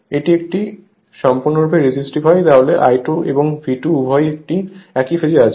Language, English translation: Bengali, If it is purely resistive, then your current I 2 and V 2 both are in phase right